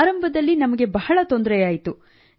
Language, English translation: Kannada, Initially we faced a lot of problems